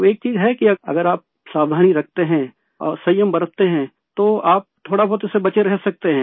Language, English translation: Hindi, And there is one thing that, if you are careful and observe caution you can avoid it to an extent